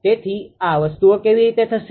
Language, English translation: Gujarati, So, how how things will happen